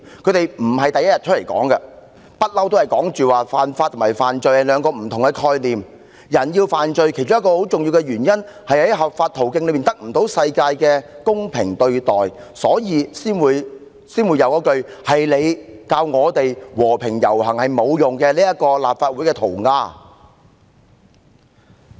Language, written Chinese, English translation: Cantonese, 他們並非首次作出闡釋，他們一直表示，犯法和犯罪是兩個不同概念，人之所以要犯法，其中一個很重要的原因在於無法透過合法途徑獲得世界的公平對待，所以才會出現"是你教我們和平遊行是沒用的"的立法會塗鴉。, They have all along said that committing an offence and committing a crime are two different concepts . They committed offence mainly because among other reasons they could not receive fair treatment in the world with the use of legitimate means . That is why there was the graffiti reading It was you who told me that peaceful marches did not work inside the Legislative Council